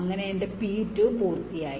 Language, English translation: Malayalam, so my p two is done